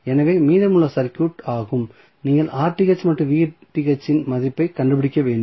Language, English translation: Tamil, So, this would be rest of the circuit, what you have to do you have to find out the value of Rth and Vth